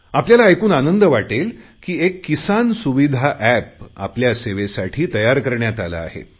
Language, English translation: Marathi, You will be happy to learn that a 'Kisan Suvidha App' has been launched to serve your interests